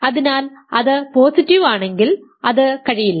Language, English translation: Malayalam, So, it cannot be there if it is positive